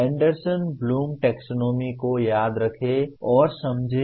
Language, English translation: Hindi, Remember and understand of Anderson Bloom taxonomy